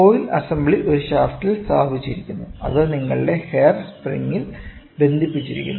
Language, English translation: Malayalam, The coil assembly is mounted on a shaft which in turn is hinged on your hair spring